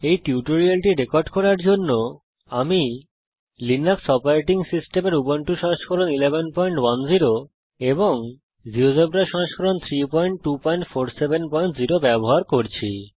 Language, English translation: Bengali, To record this tutorial, I am using Ubuntu Linux OS Version 11.10, Geogebra Version 3.2.47.0